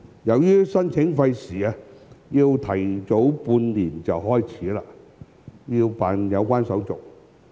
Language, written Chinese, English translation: Cantonese, 由於申請費時，需預早半年開始辦理有關手續。, As the application was time - consuming we had to start going through the procedures six months in advance